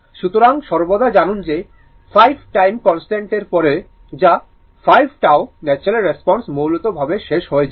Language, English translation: Bengali, So, we always know that after 5 time constant, that is 5 tau, the natural response essentially dies out